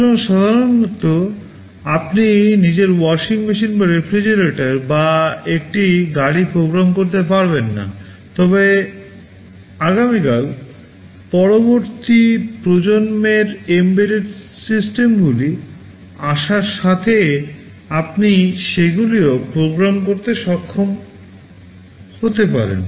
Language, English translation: Bengali, So, normally you cannot program your washing machine or refrigerator or a car, but maybe tomorrow with the next generation embedded systems coming, you may be able to program them also